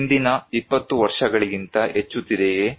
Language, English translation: Kannada, Increasing than 20 years before